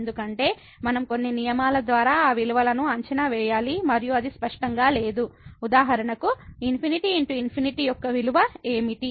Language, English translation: Telugu, Because, we have to evaluate by some rules those values and it is not clear that; what is the value of infinity by infinity for example